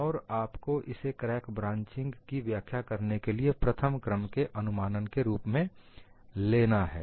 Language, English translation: Hindi, You know you have to take it as a first order approximation in explaining crack branching